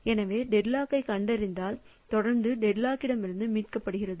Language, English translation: Tamil, So, the deadlock detection and followed by recovery from deadlock